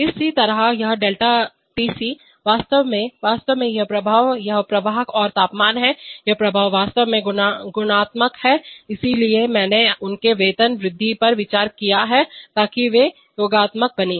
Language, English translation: Hindi, Similarly this ΔTC in fact, actually these effects are this flow and temperature, these effects actually multiplicative, so I have considered their increment so that they become additive